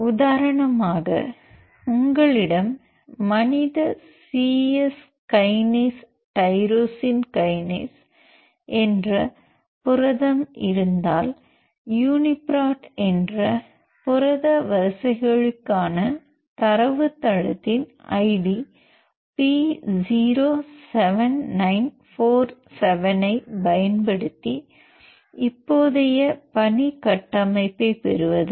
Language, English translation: Tamil, For example if you have a protein called human c Yes kinase tyrosine kinase that the Uniprot id, uniprot is the database for protein sequences P07947